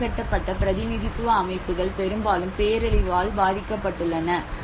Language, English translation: Tamil, The marginalized representation systems who often get affected by the disaster